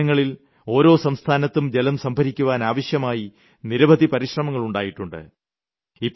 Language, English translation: Malayalam, Lately, in all the states a lot of measures have been taken for water conservation